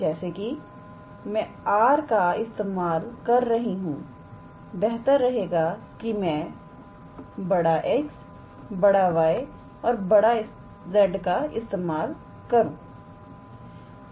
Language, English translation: Hindi, So, since I am using capital R, is better to use capital X, capital Y, capital Z